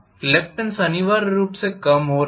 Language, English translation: Hindi, Reluctance essentially decreasing